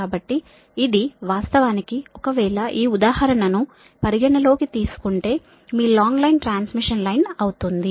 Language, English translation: Telugu, so this is this is actually, if you have this, this example considering a long transmission line, right